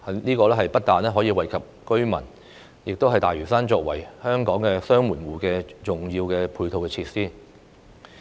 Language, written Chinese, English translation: Cantonese, 這不但可以惠及居民，亦是大嶼山作為香港"雙門戶"的重要配套設施。, Not only can these measures benefit local residents but they are also important supporting facilities for Lantau Island as the double gateway of Hong Kong